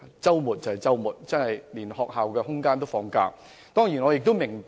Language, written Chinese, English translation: Cantonese, 在周末，連學校的場地設施也在"放假"。, During weekends these school facilities are also on holidays